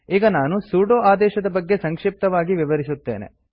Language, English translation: Kannada, Let me give you a brief explanation about the sudo command